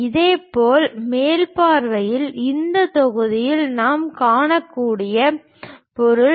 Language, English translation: Tamil, Similarly, in top view the object what we can see as a block, is this block